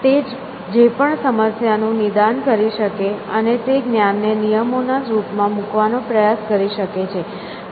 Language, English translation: Gujarati, It could be diagnosis of whatever the problem was and try to put that knowledge in the form of rules essentially